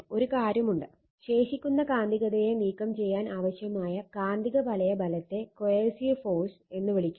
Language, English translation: Malayalam, And one thing is there magnetic field strength that is o d required to remove the residual magnetism is called coercive force right